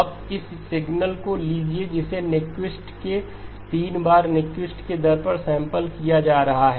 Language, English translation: Hindi, Now take this signal one that is being sampled at Nyquist rate 3 times Nyquist